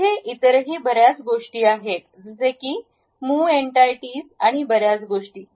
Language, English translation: Marathi, There are many other things also like move entities and many things